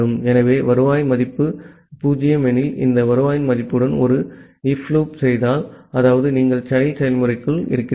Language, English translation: Tamil, So, if you make a if loop with this return value if the return value is 0; that means, you are inside the child process